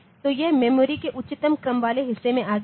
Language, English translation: Hindi, So, it has come to the highest order portion of the memory